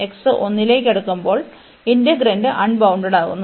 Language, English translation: Malayalam, And also when x is approaching to 1, this integrand is getting unbounded